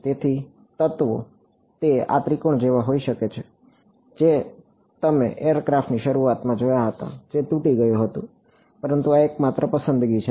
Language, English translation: Gujarati, So, the elements it can be like this triangle that is what you saw in the very beginning the aircraft whichever was broken, but these are the only choice